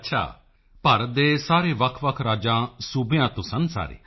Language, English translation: Punjabi, Were they from different States of India